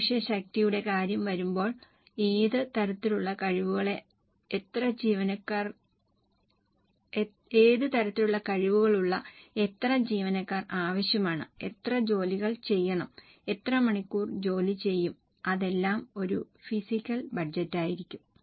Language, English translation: Malayalam, When it comes to manpower, it talks about how many employees are required with what types of skills, how many hours of work will be done, that will be a physical budget